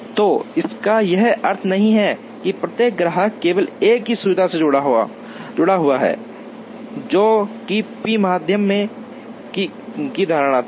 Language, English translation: Hindi, So, this does not assume that, every customer is attached to only one facility, which was the assumption in p median